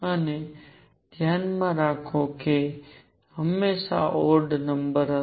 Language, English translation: Gujarati, And keep in mind this will be always be odd number